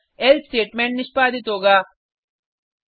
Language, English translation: Hindi, So the else statement will be executed